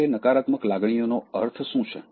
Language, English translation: Gujarati, What do I mean by negative emotions on the whole